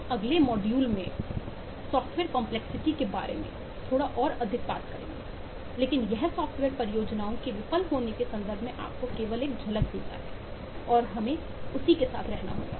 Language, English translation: Hindi, we will talk little bit more about of the software complexity in the next module, but this is just to give you glimpse in terms of why software projects fail and we will have to live with that